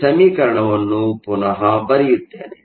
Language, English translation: Kannada, So, let me rewrite this expression again